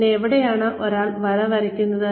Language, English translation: Malayalam, And, so where does one draw the line